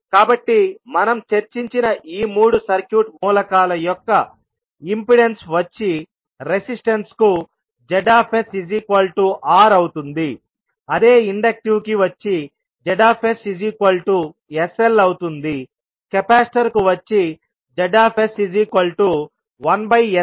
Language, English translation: Telugu, So the impedance of these three circuit elements which we discussed will become Zs for the resistance will be only R, for inductive it will be Zs is equals to sL, for capacitor the Zs it would be 1 upon sC